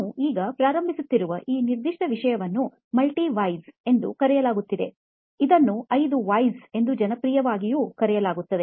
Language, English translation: Kannada, This particular topic we are starting now is called Multi Why, also popularly known as 5 Whys